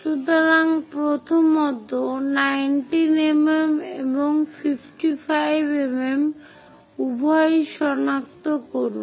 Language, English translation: Bengali, So, first of all, locate both 19 mm and 55 mm